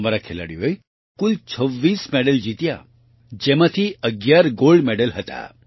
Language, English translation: Gujarati, Our players won 26 medals in all, out of which 11 were Gold Medals